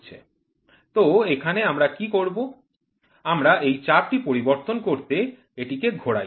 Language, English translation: Bengali, So, here what we do is this knob we operate to change the pressure